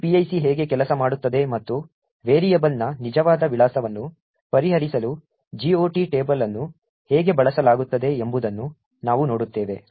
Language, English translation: Kannada, So, we will see how this PIC works and how, the GOT table is used to resolve the actual address of a variable